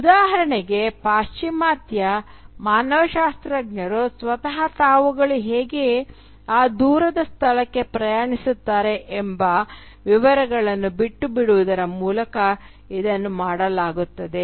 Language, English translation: Kannada, This, for instance, is done by leaving away details about how the Western anthropologist himself or herself travels to that distant location